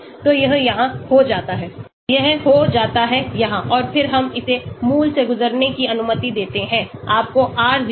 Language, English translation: Hindi, So this becomes here, this becomes here and then we allow it to pass through the origin , you get r0 and r0 dash